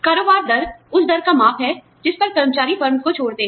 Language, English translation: Hindi, Turnover rate is a measure of the rate, at which, employees leave the firm